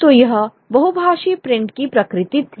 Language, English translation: Hindi, So that's the nature of the multilingual print